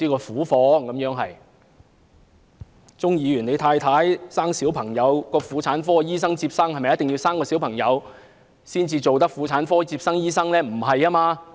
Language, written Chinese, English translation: Cantonese, 替鍾議員太太接生的婦產科醫生是否必須有生育經驗才能成為婦產科醫生呢？, Must the obstetricians and gynaecologists who attended to Mrs CHUNGs delivery have experience in giving birth?